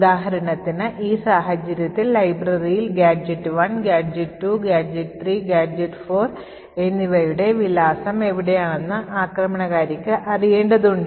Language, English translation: Malayalam, So, for example, over here in this case the attacker would need to know where the address of gadgets1, gadget2, gadget3 and gadget4 are present in the library